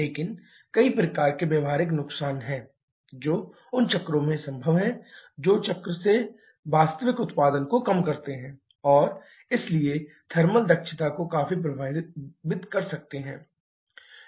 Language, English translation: Hindi, But there are several kinds of practical losses that is possible in those cycles which reduces the actual output from the cycles and therefore can significantly affect the thermal efficiency